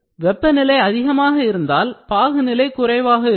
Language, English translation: Tamil, This means that temperature high implies viscosity low